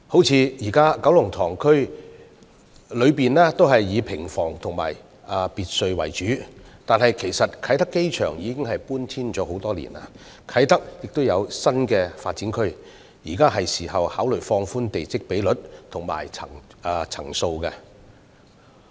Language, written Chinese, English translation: Cantonese, 舉例而言，現時九龍塘區內以平房及別墅為主，但其實啟德機場已搬遷多年，而啟德亦有新發展區，現在是時候考慮放寬地積比率和層數。, For example Kowloon Tong currently consists mostly of cottage houses and villas . In fact with the removal of the Kai Tak Airport years ago and a new development area at Kai Tak it is now time to consider relaxing the plot ratios and restrictions on the number of floors